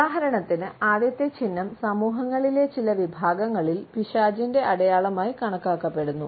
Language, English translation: Malayalam, For example the first sign is considered to be the sign of the devil in certain segments of the societies